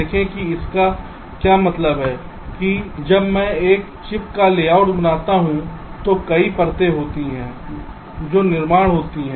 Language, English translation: Hindi, see what this means is that when i create the layout of a chip, there are several layers which are constructed first